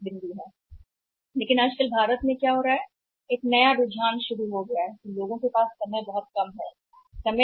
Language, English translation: Hindi, But here these days what is happening in India also know the trend has started that people have very less amount of time